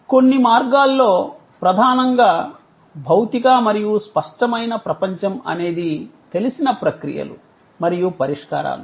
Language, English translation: Telugu, In certain ways that dominantly physical and tangible world was a known series of processes and solutions